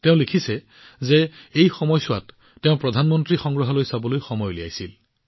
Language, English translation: Assamese, She writes that during this, she took time out to visit the PM Museum